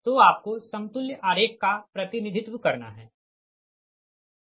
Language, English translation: Hindi, so you have to represent, you have to represent the equivalent diagram, right so